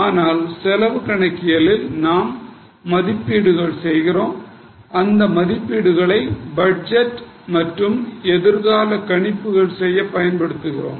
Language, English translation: Tamil, But in cost accounting we make estimates and those estimates are also used to make budgets or to make future projections